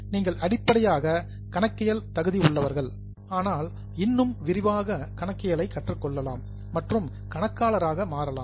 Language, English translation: Tamil, Those of you who have taken accounting as your basic area, you can learn more detailed accounting and can become accountants